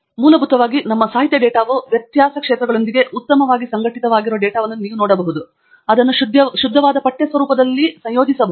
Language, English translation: Kannada, So, you can see that essentially our literature data is a very well organized data with difference fields and it can be combined because its a pure text format